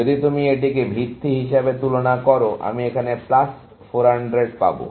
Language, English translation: Bengali, So, if you compare with this as a basis, I get plus 400 here